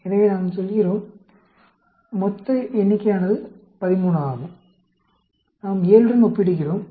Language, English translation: Tamil, So, we go to the, total number is 13 and we are comparing with 7